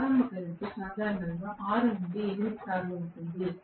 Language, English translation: Telugu, Starting current will be 6 to 8 times, normally